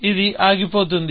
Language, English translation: Telugu, This goes off